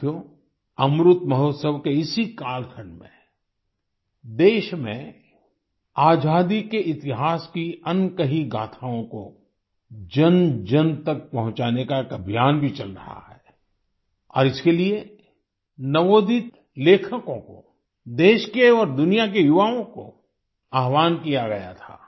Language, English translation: Hindi, in this period of Amrit Mahotsav, a campaign to disseminate to everyone the untold stories of the history of freedom is also going on… and for this, upcoming writers, youth of the country and the world were called upon